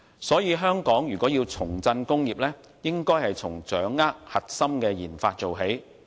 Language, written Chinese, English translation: Cantonese, 所以，香港如果要重振工業，應該從掌握核心的研發做起。, Therefore if Hong Kong wants to revive industries it should begin with gaining control over its core RD